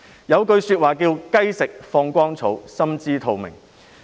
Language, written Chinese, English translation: Cantonese, 有一句話是："雞食放光蟲——心知肚明"。, As the saying goes Like a chicken that has eaten a glowing worm it is obvious to all